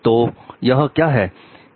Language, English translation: Hindi, What is this